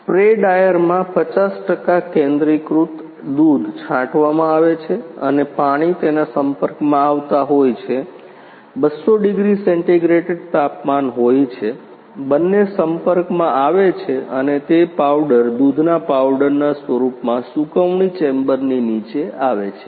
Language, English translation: Gujarati, In a spray drier concentrated 50 percent concentrated milk is sprayed and water is coming in a contact with it is having a around 200 degree centigrade temperature both are coming in a contact and it comes under the drying chamber in a form of powder milk powder, then it is packed into the different type of packing